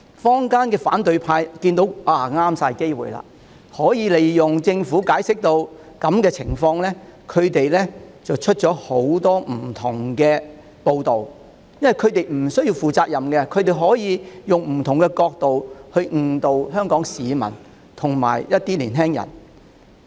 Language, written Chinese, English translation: Cantonese, 坊間的反對派見此為大好機會，利用政府解釋的不足，發出各種不同的報道，因為他們無須負責任，所以便可利用不同角度誤導香港市民和青年人。, The opponents in the community consider this a great opportunity . They take advantage of the inadequate explanation of the Government to issue all kinds of messages . Since they do not have to bear any responsibility they can mislead the people of Hong Kong and the young people in different aspects